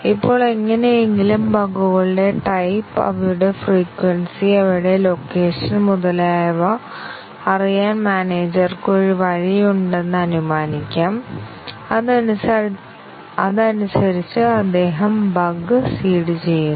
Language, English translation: Malayalam, Now, let us assume that, somehow, the manager has a way to know the type of bugs, their frequency, and their location and so on and he seeds the bug accordingly